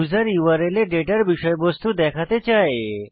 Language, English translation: Bengali, the user wants the contents of the data to be visible in the URL